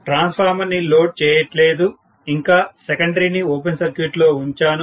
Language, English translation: Telugu, So, I am still showing the transformer under open circuit, the secondary is on open circuit, okay